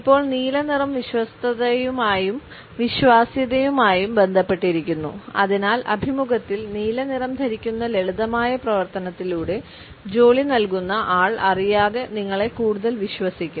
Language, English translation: Malayalam, Now, the color blue is associated with loyalty and trust, so the simple act of wearing blue to the interview will make the hiring manager unconsciously trust you more